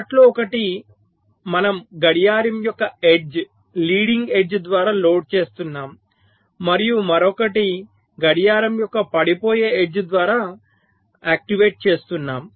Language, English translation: Telugu, let say one of them we are loading by the leading edge of the clock, raising age, and the other we are activity of by falling edge of the clock